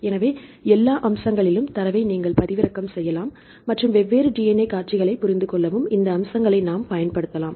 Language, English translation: Tamil, So, you can download the data right for all the features and you can use this features to understand the different DNA sequences